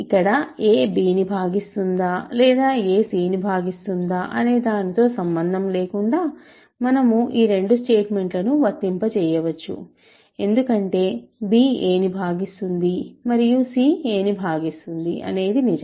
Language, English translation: Telugu, So, no matter here whether a divides b or a divides c, we can apply both these statements because b divides a and c divides a both are true